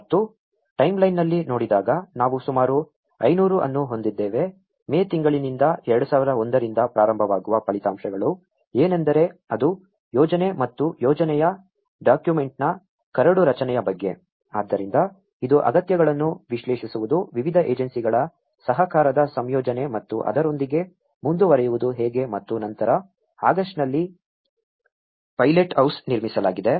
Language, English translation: Kannada, And looking at the timeline, we have about 500, what are the results starting from the 2001 from May onwards it is about the planning and drafting of the project document so it looked at analysing the needs, the combination of the cooperation of different agencies and how to go ahead with it and then in August somewhere, the construction of the pilothouse have been constructed